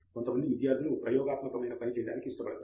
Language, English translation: Telugu, While some students are made for experimental work